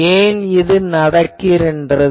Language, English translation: Tamil, So, why this happens